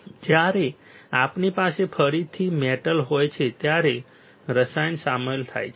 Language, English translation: Gujarati, When we have a metal again, chemical is involved